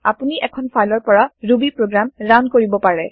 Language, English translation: Assamese, You can also run Ruby program from a file